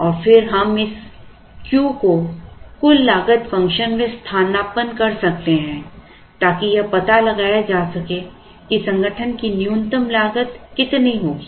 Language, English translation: Hindi, And then we can substitute this Q into the total cost function to find out the minimum total cost that the organization would incur